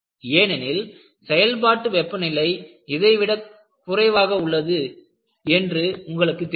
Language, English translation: Tamil, Because the operating temperature is far below this